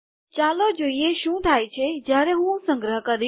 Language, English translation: Gujarati, Lets see what happens when I save this